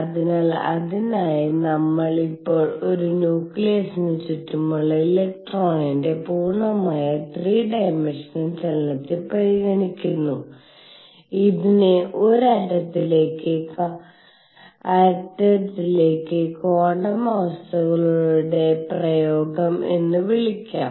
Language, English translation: Malayalam, So, for that we now consider a full 3 dimensional motion of the electron around a nucleus which also can be called the application of quantum conditions to an atom